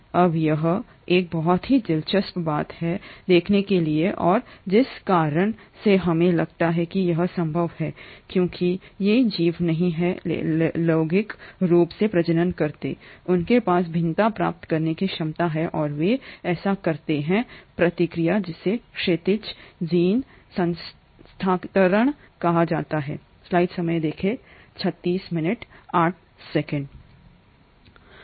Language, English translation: Hindi, Now that is a very interesting thing to look at and the reason we think it is possible is because though these organisms do not reproduce sexually they do have a potential to acquire variation and they do this by the process called as horizontal gene transfer